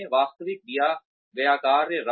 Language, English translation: Hindi, Give them actual tasks